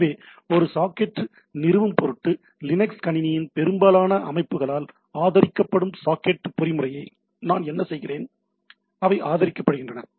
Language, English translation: Tamil, So, in order to establish a socket; so, what we do I the socket the socket mechanism to be supported by the system in most of the Linux system, they are supported